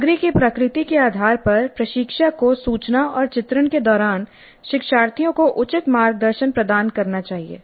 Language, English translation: Hindi, Depending upon the nature of the content instructor must provide appropriate guidance to the learners during information and portrayal